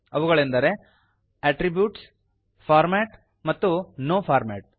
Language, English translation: Kannada, They are Attributes,Format and No Format